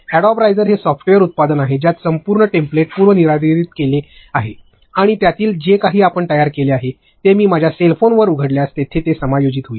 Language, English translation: Marathi, Adobe rise is a software, it is a software product in which the entire template is pre defined and in that whatever you create, if I open the same thing on my cell phone it will adjust